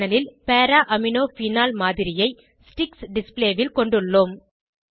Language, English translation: Tamil, On the panel we have a model of Para Amino phenol in sticks display